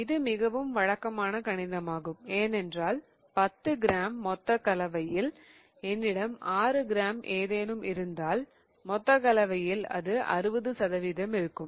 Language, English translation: Tamil, So, this is very usual maths because if I have 6 grams of something in in a 10 gram total mixture, I have 60 percent of that compound in the total mixture